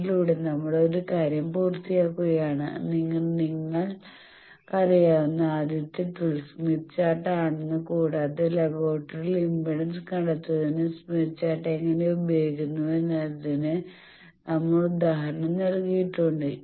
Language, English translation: Malayalam, By this we are completing one thing that you now know smith chart the first tool your known and we have given example that how smith chart is used for finding the impedance in laboratory